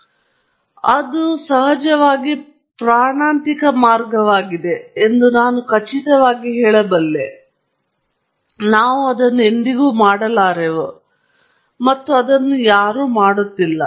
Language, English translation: Kannada, I am sure that would be a very deadly approach indeed, but we never do it and we have not seen anyone doing it